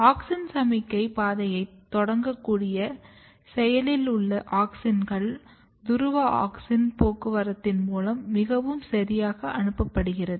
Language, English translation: Tamil, And then the active pool of auxin which is basically able to initiate auxin signalling pathway can be distributed very properly through a process of polar auxin transport